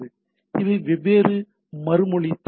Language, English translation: Tamil, So these are different response headers